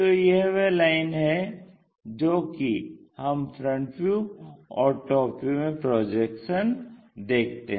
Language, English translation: Hindi, So, it is a line what we are seeing is projections in the front view and projection from the top in the top view